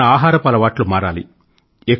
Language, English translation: Telugu, The food habits have to change